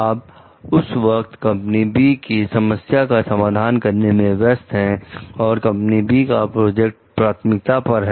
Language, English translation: Hindi, You were busy resolving another issue with company B at the time and the company B project had priority